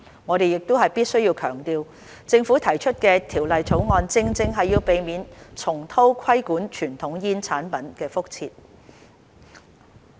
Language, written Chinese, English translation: Cantonese, 我們必須強調，政府提出《條例草案》，正正是要避免重蹈規管傳統煙草產品的覆轍。, We must emphasize that the Government has proposed the Bill to avoid repeating the same mistake it made in regulating conventional tobacco products